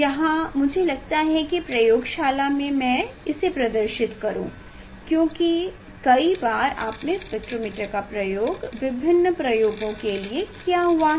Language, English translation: Hindi, here I think in laboratory I will demonstrate this one because many times I have used this spectrometer for different experiments